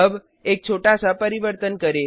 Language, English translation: Hindi, Now, let us make a small change